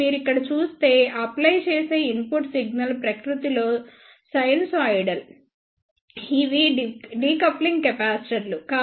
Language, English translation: Telugu, Now, if you see here here the input signal applied is sinusoidal in nature these are the decoupling capacitors